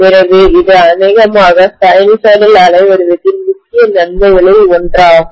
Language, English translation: Tamil, So this is one of the major advantages of probably the sinusoidal waveform